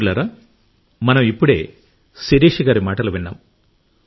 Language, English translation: Telugu, Friends, just now we heard Shirisha ji